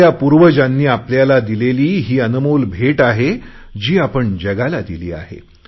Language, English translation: Marathi, This is a priceless gift handed over to us by our ancestors, which we have given to the world